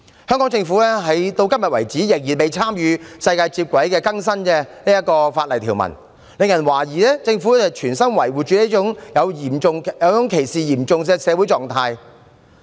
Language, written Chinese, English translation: Cantonese, 香港政府至今仍未與世界接軌，更新法例條文，令人懷疑政府存心維護這種嚴重歧視的社會狀態。, Since the Hong Kong Government has still not updated its legal provisions to keep in line with other parts of the world it arouses doubts as to whether the Government actually intends to condone such serious discrimination in society